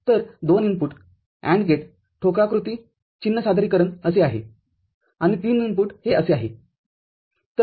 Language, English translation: Marathi, So, a 2 input AND gate the block diagram, the symbol representation is like this and 3 input it is like this